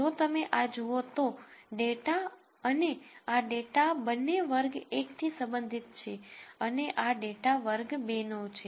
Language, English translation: Gujarati, However, if you look at this, this data and this data both belong to class 1 and this data belongs to class 2